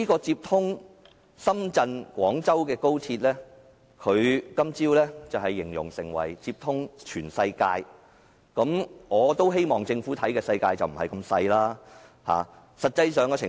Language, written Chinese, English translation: Cantonese, 接通深圳和廣州的高鐵，他今早形容為接通全世界，我希望政府眼中的世界不是那麼小。, He described XRL connecting Shenzhen and Guangzhou as connecting the world . I hope the world is not that small in the eyes of the Government